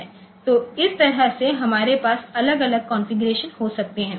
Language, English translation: Hindi, So, that way we can have different configurations